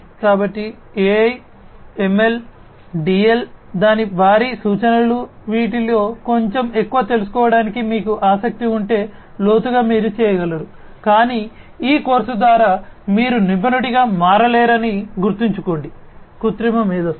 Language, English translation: Telugu, So, you know the references for AI, ML, DL, etcetera its huge these are some of the ones that, if you are interested to know little bit more in depth you could, but mind you that through this course you cannot become an expert of artificial intelligence